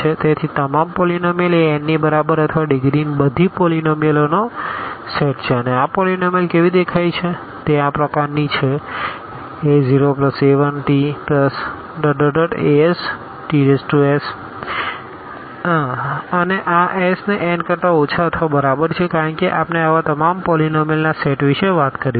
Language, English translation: Gujarati, So, all polynomial this is a set of all polynomials of degree less than or equal to n and how these polynomials look like they are of this kind a 0 plus a 1 t plus a 2 t plus and so on a s t power s and this s is less than or equal to n because we are talking about the set of all such polynomials